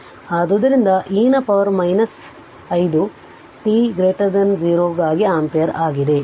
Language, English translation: Kannada, 2, so it is it is e to the power minus 5 t ampere for t greater than 0